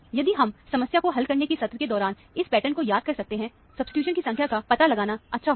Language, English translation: Hindi, If we can recall this pattern during the problem solving session, it will be nice to figure out the number of substituents